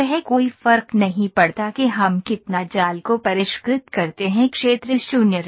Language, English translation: Hindi, No matter how much we refine the mesh the area will remain 0